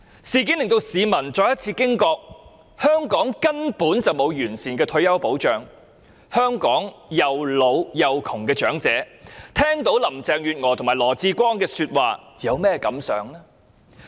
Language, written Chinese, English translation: Cantonese, 事件令市民再次驚覺香港根本沒有完善的退休保障，香港既老且窮的長者聽到林鄭月娥和羅致光的說話，有何感想呢？, The public then realized that comprehensive retirement protection is lacking in Hong Kong . What would the old and poor think of the remarks of Carrie LAM and LAW Chi - kwong?